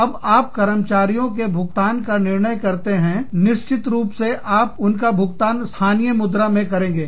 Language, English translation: Hindi, Now, you may decide, to pay the employees, in terms of, of course, you pay them, in the local currency